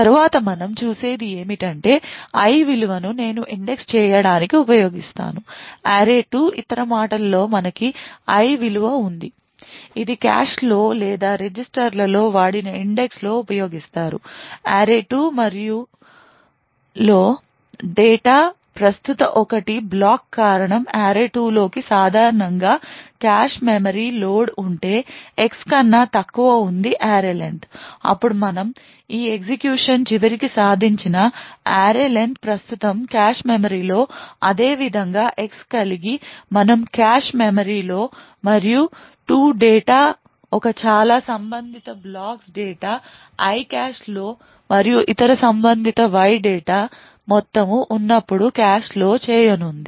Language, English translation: Telugu, Next what we see is that this value I is then used to indexed in to array2 in other words we have this value I which is present in the cache or in the register is used in to used index in to array2 and cause one block of data present in array2 to be loaded into the cache memory typically if X is less than array len then what we achieved at the end of this execution is that we have the array len present in the cache memory similarly we have X present in the cache memory and 2 blocks of data one corresponding too I in the cache and the other corresponding to Y so all of these data would be present in the cache